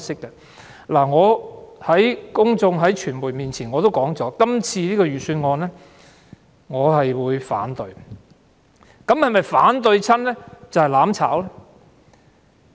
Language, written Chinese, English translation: Cantonese, 我曾向公眾和傳媒說過，就這次財政預算案，我會投反對票，但這是否便是"攬炒"呢？, I have told the public and the media that I will vote against this years Budget but is this tantamount to an act of seeking to burn together with others?